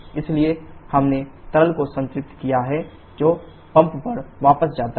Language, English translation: Hindi, So, we have saturated liquid which goes back to the pump